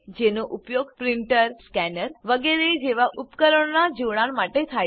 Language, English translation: Gujarati, These are used for connecting devices like printer, scanner etc